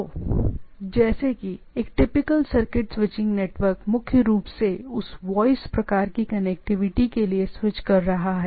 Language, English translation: Hindi, So, like a typical circuit switching network is like these that from the like, which is this is as we know that circuit switching predominantly for that voice type of connectivity